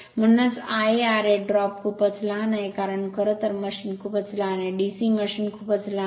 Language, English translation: Marathi, Therefore, I a r a drop is very small because r a actually for a machine is very small, DC machine is very small right